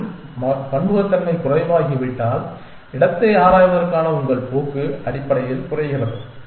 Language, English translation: Tamil, And if the diversity becomes less it means your tendency to explore the space decreases essentially